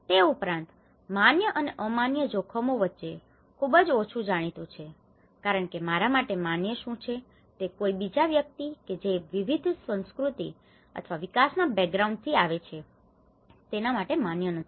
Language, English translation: Gujarati, Also, very less is known between the acceptable and unacceptable risks because what is acceptable to me may not be acceptable to the other person who come from a different cultural or a development background